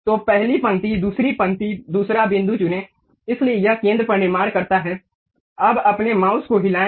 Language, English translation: Hindi, So, pick first line, second line, second point, so it construct on the center, now move your mouse